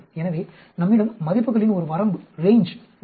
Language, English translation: Tamil, So, we have a range of a values